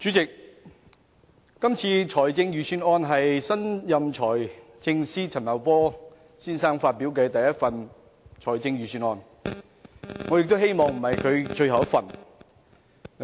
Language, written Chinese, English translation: Cantonese, 主席，這份財政預算案是新任財政司司長陳茂波先生發表的第一份預算案，我希望這不是他最後一份預算案。, President this Budget is the first Budget prepared by Mr Paul CHAN the new Financial Secretary and I hope it is not his last budget